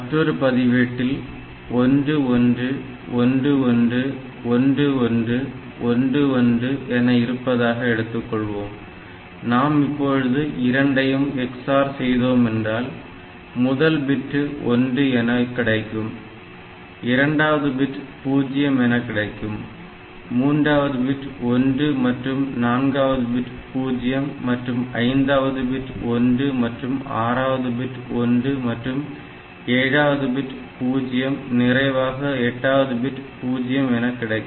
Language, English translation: Tamil, So, and now a register I have got 1 1 1 1 1 1 1 1, so if you do a bitwise x oring, so this x oring will give me 1 the first bit, second bit will give me 0, third bit will give me 1, fourth bit will give me 0, fifth bit will be 1, sixth bit will be 1, seventh bit is 0 and eight bits is also 0